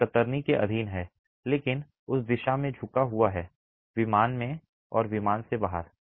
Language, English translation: Hindi, It's subjected to shear but there is bending in that direction, predominant direction in plane and out of plane